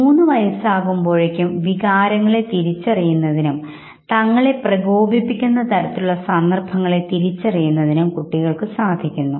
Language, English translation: Malayalam, By the time they are three years old they can identify emotions and situations that provoke emotions